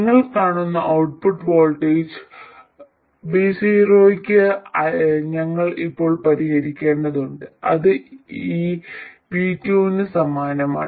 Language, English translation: Malayalam, Now, we have to solve for the output voltage V0 which you see is exactly the same as this V2